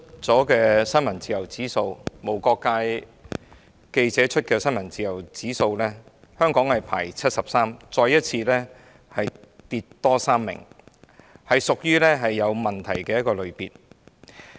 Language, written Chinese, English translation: Cantonese, 根據無國界記者今年剛剛公布的新聞自由指數，香港排名第七十三，再下跌3位，屬於有問題的一個類別。, According to the press freedom index just published by Reporters Without Borders this year Hong Kongs ranking further dropped three places to 73 which comes under the problematic category